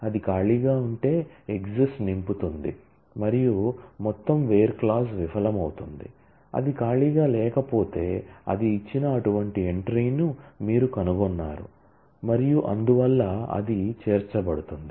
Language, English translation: Telugu, if it is an empty one, then exist will fill and the whole where clause will fail, if it was not an empty one then you have found such an entry it was offered and therefore, it will get included